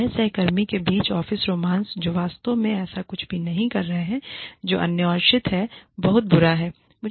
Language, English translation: Hindi, Whether, office romance between peers, who are not really doing anything, that is interdependent, is so bad